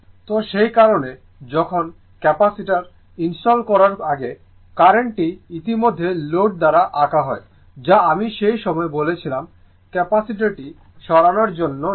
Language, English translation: Bengali, For that that when before installing the Capacitor the current is already drawn by the load I told you at the time Capacitor is not there you remove the Capacitor